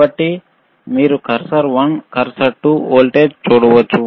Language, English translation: Telugu, So, you can see cursor one, cursor 2 that is the voltage